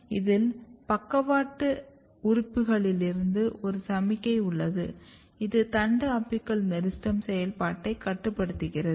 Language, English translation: Tamil, And if you look this there is a feedback from lateral organs which also controls the shoot apical meristem activity